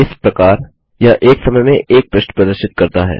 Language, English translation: Hindi, Thereby, it displays one page at a time